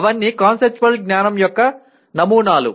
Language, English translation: Telugu, They are all samples of conceptual knowledge